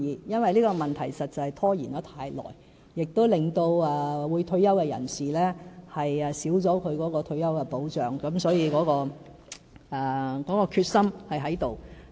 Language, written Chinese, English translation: Cantonese, 因為這個問題實在拖延太久，也令退休人士減少退休保障，所以決心是有的。, This has reduced the retirement protection for retirees . Hence we do have the determination